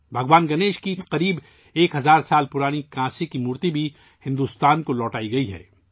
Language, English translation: Urdu, Nearly a thousand year old bronze statue of Lord Ganesha has also been returned to India